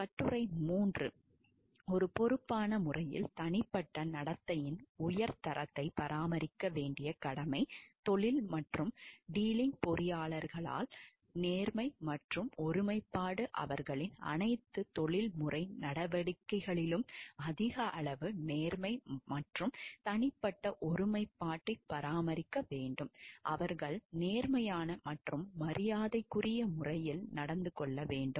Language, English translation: Tamil, Article 3; obligation to maintain high standard of personal behavior in a responsible manner, honesty and integrity in profession dealing, engineers shall maintain high degree of honesty and personal integrity in all their professional dealings, they shall conduct themselves in a fair, honest and respectable manner